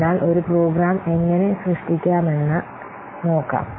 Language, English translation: Malayalam, So now let's see how to create a program